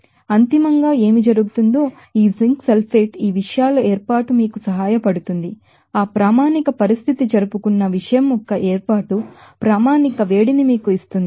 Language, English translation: Telugu, So, ultimately what happened this zinc sulfate will form that formation of these things help it will give you that heat of formation standard heat of formation of the thing celebrated that standard condition